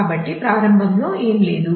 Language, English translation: Telugu, So, initially there is nothing